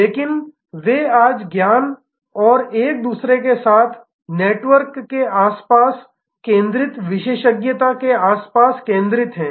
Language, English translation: Hindi, But, they are today centered around expertise centered around knowledge and the network with each other